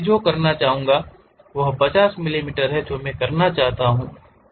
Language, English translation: Hindi, What I would like to have is 50 millimeters I would like to have